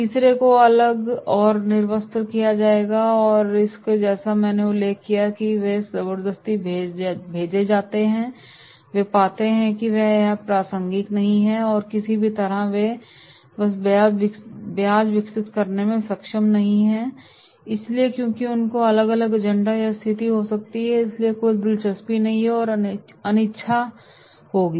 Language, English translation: Hindi, Third will be detached or disinterested, so therefore as I mentioned that is they are forcefully sent and they find for this is not relevant and anyhow they are not able to develop the interest so because of their may be different agenda or situation so therefore no interest and unwillingness will be there